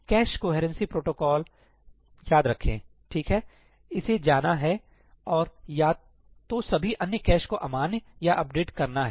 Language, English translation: Hindi, Remember the cache coherency protocols, right, it has to go and either invalidate or update all the other caches